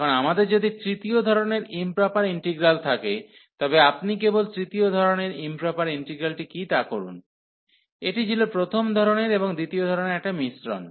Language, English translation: Bengali, Now, if we have the improper integrals of 3rd kind, so you just to recall what was the improper integral of third kind, it was the mixture of the integral of kind 1 and kind 2